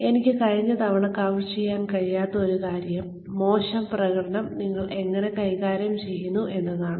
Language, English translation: Malayalam, Now, the one point that, I was unable to cover, last time was, how do you manage poor performance